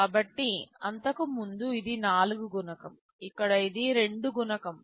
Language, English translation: Telugu, So, earlier it was multiple of 4, here it is multiple of 2